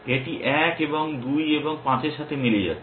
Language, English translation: Bengali, This one is matching 1 and 2 and 5